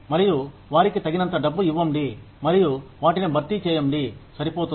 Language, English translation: Telugu, And, give them enough money and compensate them, enough